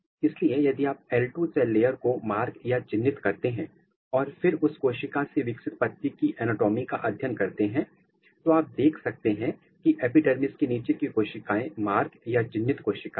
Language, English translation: Hindi, So, if you mark this cell layers the L 2 cell layers and then if you make a anatomy of the mature leaf which is coming from here; what you could see that the cell layers which is beneath the epidermis they have the marked cell